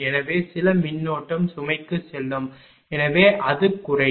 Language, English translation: Tamil, Therefore, some current will go to the load therefore, it will decrease